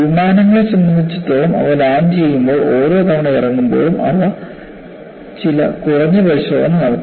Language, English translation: Malayalam, And in fact, for aircrafts, when they land, every time they land, they do certain minimal inspection